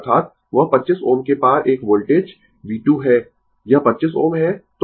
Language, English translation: Hindi, That is that to a voltage across 25 ohm is V 2 this is 25 ohm